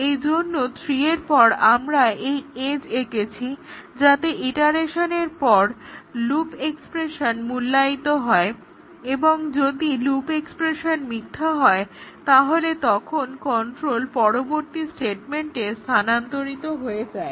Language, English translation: Bengali, So, after 3 we have drawn this edge, so that at the end of iteration the loop expression is evaluated and if the loop expression becomes false then the control transfers to the next statement